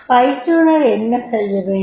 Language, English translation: Tamil, What trainer has to require